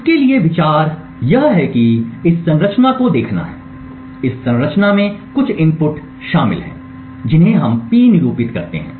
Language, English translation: Hindi, The central idea for this is to look at this structure, this structure comprises of some input which we denote P